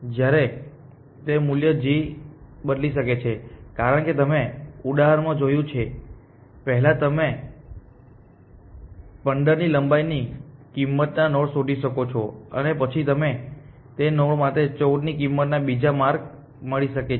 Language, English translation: Gujarati, Whereas, this g value may change, why because you as we saw in the example first you may find the cost of length 15 to a node and then you may find another paths of cost 14 to that node